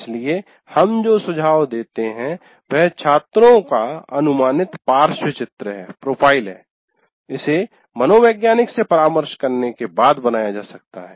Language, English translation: Hindi, So what we suggest is an approximate profile of the students, this can be created after consulting a psychologist